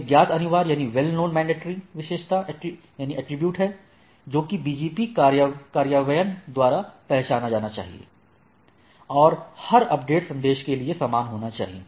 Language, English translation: Hindi, One is well known mandatory the attribute must be recognized by all BGP implementation, is must be same for every update message